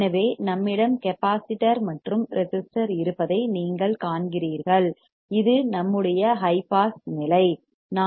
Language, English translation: Tamil, So, you see here we have capacitor and resistor this is our high pass stage